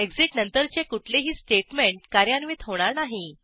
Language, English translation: Marathi, Any statement after exit will not be executed